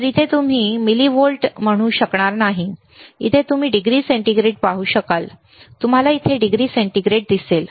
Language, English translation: Marathi, So, here you will not be able to say millivolts, here you will be able to see degree centigrade, you see here degree centigrade